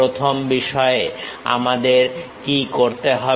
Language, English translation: Bengali, First thing, what we have to do